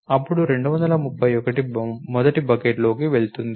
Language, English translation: Telugu, Then 231 will go in to the first bucket